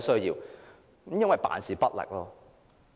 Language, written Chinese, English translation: Cantonese, 因為政府辦事不力。, Because the Government is slack